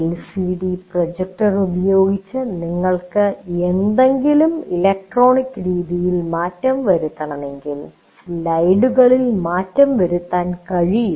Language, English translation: Malayalam, Now LCD projector, if you want to make any change electronically you can make the change in the slides that you make